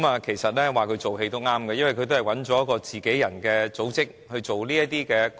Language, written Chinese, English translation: Cantonese, 其實說她做戲也對，因為他們都是找自己人的組織來營運這"光屋"。, I am right to say that she put on a show as the Light Home project is operated by an ally organization of the Government